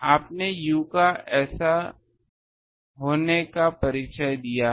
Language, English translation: Hindi, u you have introduced to be this